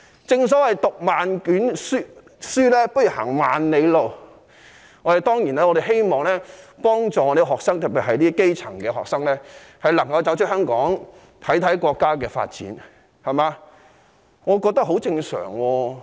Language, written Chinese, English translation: Cantonese, 正所謂"讀萬卷書，不如行萬里路"，我們當然希望幫助學生，特別是基層學生，讓他們有機會走出香港觀察國家發展，我認為這是很正常的做法。, As the saying goes travelling brings about far greater benefit than mere book learning we certainly wish to help students particularly those from the grass roots so that they will have the chance to go beyond Hong Kong to observe the development of the country . I think this is a normal practice